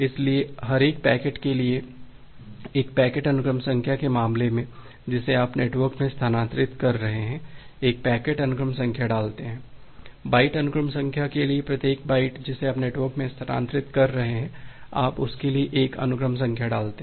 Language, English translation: Hindi, So, in case of a packet sequence number for every individual packet that you are transferring in the network, you put one sequence number for the packet, for the byte sequence number, every individual byte that you are transferring in the network, you put one sequence number for that